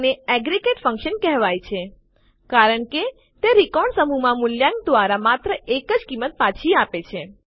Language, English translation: Gujarati, This is called an aggregate function, as it returns just one value by evaluating a set of records